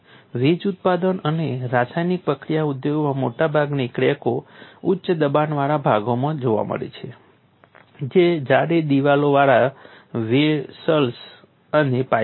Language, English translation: Gujarati, In power generating and chemical processing industries most cracks occur in high pressure parts which are thick wall vessels and pipes